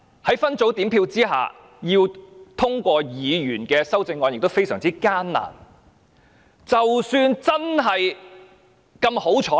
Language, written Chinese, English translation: Cantonese, 在分組點票下，要通過議員的修正案，是非常艱難的。, Under the separate voting mechanism it is very difficult for Members amendments to be passed